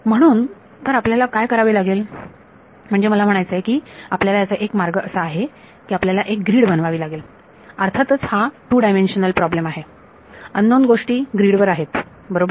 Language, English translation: Marathi, So, what you I mean the way to do this is, you have to make a grid; obviously, it is a 2 dimensional problem, the unknowns are on a grid right